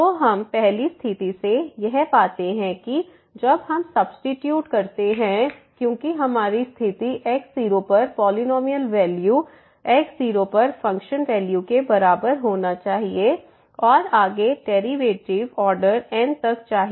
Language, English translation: Hindi, So, having this what we get out of the first condition when we substitute because, our conditions is the polynomial value at must be equal to the function value at and further derivatives upto order n